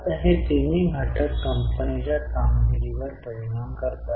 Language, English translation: Marathi, Now, all these three factors impact the performance of the company